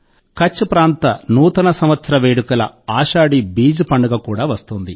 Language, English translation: Telugu, Just ahead is also the festival of the Kutchi New Year – Ashadhi Beej